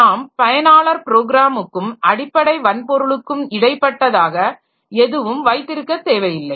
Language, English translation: Tamil, We don't have to, we don't have to have any intermediary between the user program and the basic computer hardware